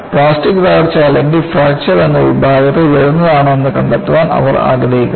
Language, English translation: Malayalam, They want to find out, whether it comes in the category of plastic collapse or fracture